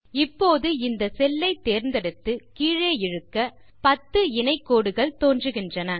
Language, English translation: Tamil, Now I can just select this cell and drag it all the way down, I get a set of 10 parallel lines